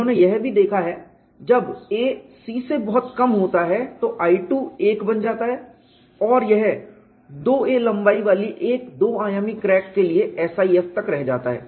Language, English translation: Hindi, They have also looked at when a is much less than c I 2 becomes 1 and it reduces to the SIF for a two dimensional crack of length 2 a